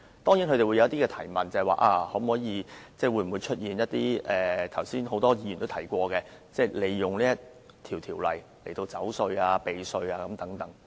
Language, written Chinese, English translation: Cantonese, 當然，他們會有一些提問，例如會否出現一些剛才不少議員提到的情況，即利用《條例草案》逃稅、避稅。, Of course they have raised certain questions like the possibility of using the Bill for tax evasion as mentioned by numerous Members earlier